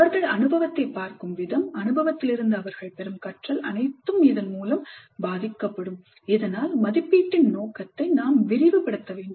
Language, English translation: Tamil, So they will look at the experience, the learning the gain from the experience will all be influenced by this and thus we have to expand the scope of assessment